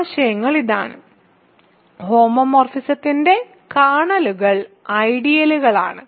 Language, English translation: Malayalam, So, the ideals are this and kernels of homomorphisms are ideals